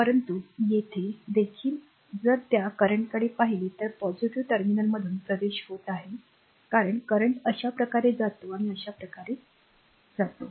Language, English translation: Marathi, But here also if you look into that current is entering through the positive terminal because current goes like this goes like this and goes like this right